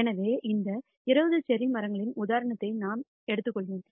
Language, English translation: Tamil, So, I have taken this example of these 20 cherry trees